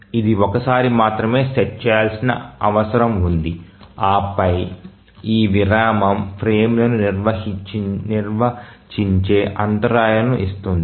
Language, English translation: Telugu, So, it needs to be set only once and then keeps on giving interrupts at this interval defining the frames